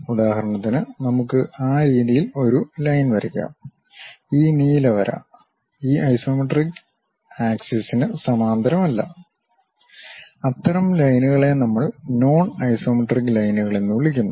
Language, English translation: Malayalam, For example, let us draw a line in that way; this blue line is not parallel to any of these isometric axis, such kind of lines what we call non isometric lines